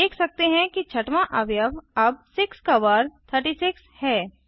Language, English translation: Hindi, We see the sixth element is now square of 6, which is 36